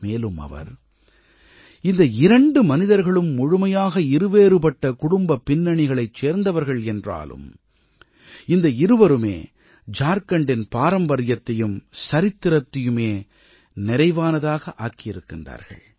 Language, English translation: Tamil, He further states that despite both personalities hailing from diverse family backgrounds, they enriched the legacy and the history of Jharkhand